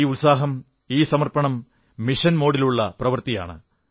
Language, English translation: Malayalam, This spirit, this dedication is a mission mode activity